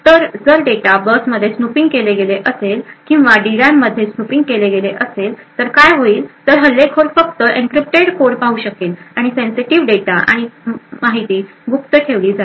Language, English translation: Marathi, So thus, if there is a snooping done on the data bus or there is actually snooping within the D RAM then what would happen is that the attacker would only see encrypted code and the sensitive data and information is still kept secret